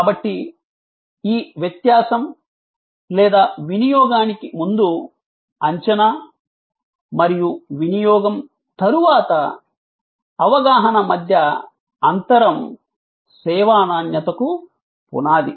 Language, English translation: Telugu, So, this difference between the or the gap between the pre consumption expectation and post consumption perception is the foundation of service quality